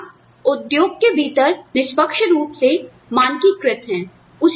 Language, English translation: Hindi, Jobs are fairly standardized within the industry